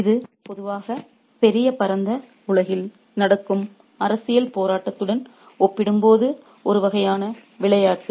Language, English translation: Tamil, It's a usually a game that is kind of compared to the political struggle that's happening in the big white world